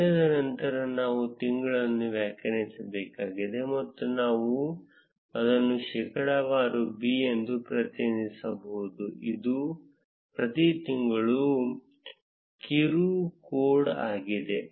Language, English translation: Kannada, After day, we need to define the month and we can represent it as percentage b, which is the short code for each of the months